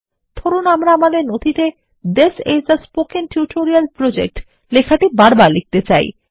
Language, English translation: Bengali, Lets say we want to type the text, This is a Spoken Tutorial Project repeatedly in our document